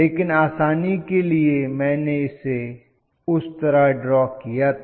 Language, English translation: Hindi, But just for simplicity I started drawing like that